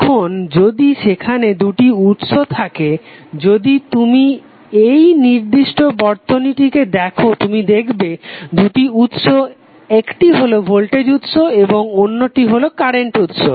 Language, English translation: Bengali, Now if there are 2 sources voltage sources if you see in this particular circuit you have 2 sources one is voltage source other is current source